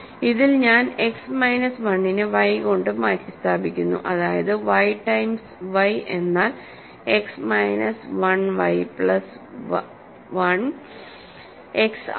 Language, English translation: Malayalam, So, in this I am replacing X minus 1 by y that means, y times if y is X minus 1 y plus 1 is X